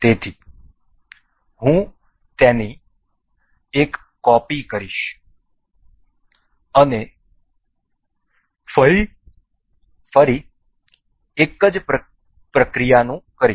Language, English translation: Gujarati, So, I will copy make a copy of this and once again the same procedure do